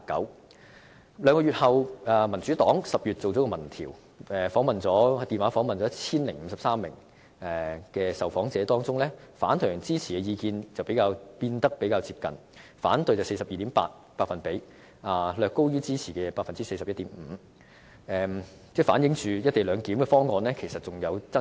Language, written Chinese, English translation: Cantonese, 可是，在兩個月後，民主黨於10月進行了民調，電話詢問了 1,053 名受訪者，當中反對和支持的意見則變得較接近，反對為 42.8%， 略高於支持的 41.5%， 反映"一地兩檢"方案仍存有爭議。, Among them 55 % supported the co - location arrangement while 29 % were against it . However two months later the Democratic Party carried out a telephone survey on 1 053 respondents and the figures on both sides were rather close with 42.8 % of respondents against the arrangement which was slightly higher than 41.5 % of respondents supporting it . This shows that the co - location arrangement is still controversial